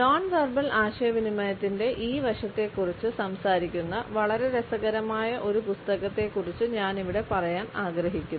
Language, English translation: Malayalam, I would also refer to a very interesting book which talks about this aspect of non verbal communication